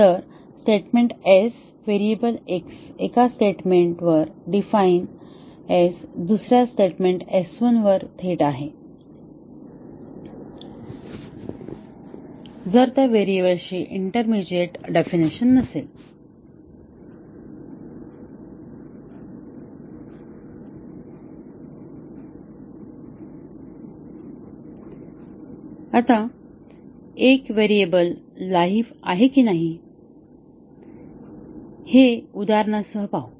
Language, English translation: Marathi, So, a statement S, a variable x defined at a statement S is live at another statement S1 if there is no intermediate definition of that variable